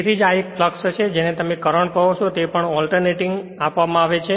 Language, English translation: Gujarati, So, that is why this is the one of the flux and this is your what you call current is given anything alternative